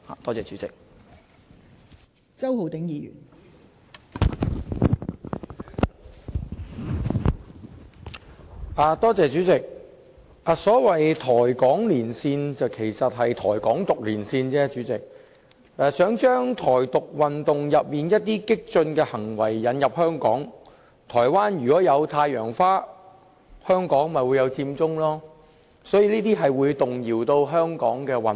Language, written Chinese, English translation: Cantonese, 代理主席，所謂"台港連線"，其實只是"台港獨連線"，想將"台獨"運動當中一些激進行為引入香港，台灣如果有太陽花，香港便有佔中，這些行為都會動搖香港的穩定。, Its aim is to import into Hong Kong the radicalism of the Taiwan Independence Movement . There was the Sunflower Movement in Taiwan so Occupy Central was organized in Hong Kong . These acts will upset the stability of Hong Kong